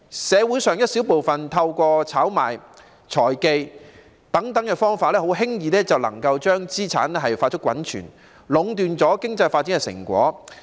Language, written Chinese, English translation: Cantonese, 社會上一小部分人透過炒賣活動、財技等方法，很輕易就能夠把資產快速滾存，壟斷了經濟發展的成果。, A small number of people in society can easily accumulate assets in a rapid way through speculative activities and financial techniques thus monopolizing the fruits of economic development